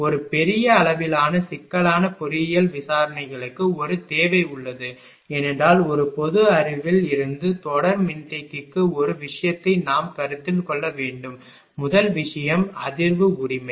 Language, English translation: Tamil, There is a requirement for a large amount of complex engineering investigations, because we have to consider one thing for series capacitor from a general knowledge the first thing is the resonance right